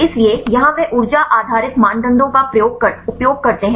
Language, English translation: Hindi, So, here they use the energy based criteria